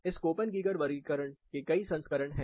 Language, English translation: Hindi, There are many versions of this Koppen Geiger classification